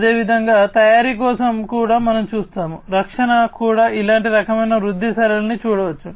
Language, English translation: Telugu, And likewise for manufacturing also we see, defense also we can see a similar kind of growth pattern and so on